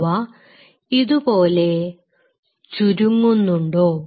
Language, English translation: Malayalam, Are the contracting like that